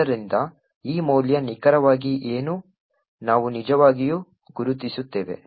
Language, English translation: Kannada, So, what exactly is this value, is what we will actually identify